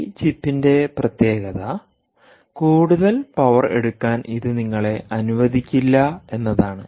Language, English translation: Malayalam, the speciality of this chip is: it cant allow you to draw more power